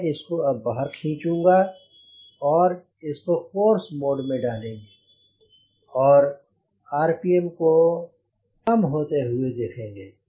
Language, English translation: Hindi, i will put it, pull it, put it in the course mode and watch rpm drop